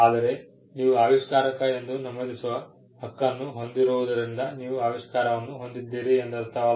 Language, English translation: Kannada, But just because you have a right to be mentioned as an inventor, it does not mean that you own the invention